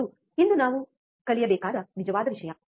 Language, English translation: Kannada, That is the real thing that we need to learn today